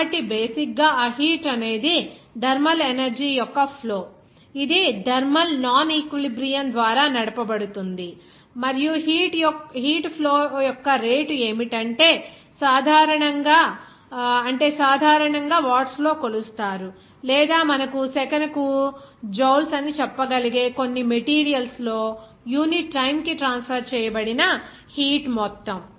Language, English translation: Telugu, So, basically that heat is the flow of thermal energy that is driven by thermal non equilibrium and the rate of heat flow is the amount of heat that is transferred per unit of time in some material usually measured in watts or you can say joules per second